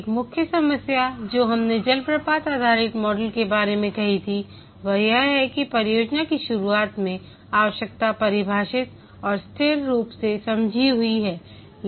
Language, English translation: Hindi, One of the main problem that we had said about the waterfall based model is that the requirement is defined and frozen at the start of the project